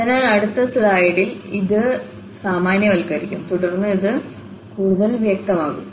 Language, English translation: Malayalam, So, we will generalize this in the next slide and then it will be clearer